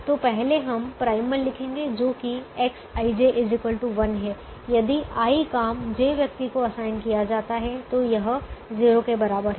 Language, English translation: Hindi, so first we write the primal, which is: let x, i, j be equal to one if job i is assigned to person j, and its equal to zero otherwise